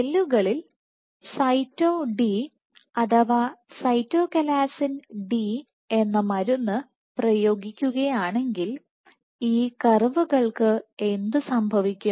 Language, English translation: Malayalam, Now, what happens to this curve if cells are treated perfused with Cyto D, with the drug Cyto D right, Cytochalasin D and what the Cytochalasin do